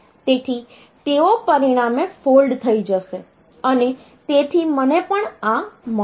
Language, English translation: Gujarati, So, they will get folded as a result, I will also get this